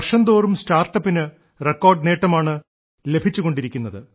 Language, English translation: Malayalam, Startups are getting record investment year after year